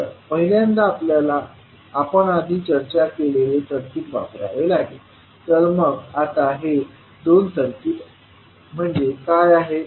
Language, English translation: Marathi, We have to first use the circuit which we discussed previously, so what are those two circuits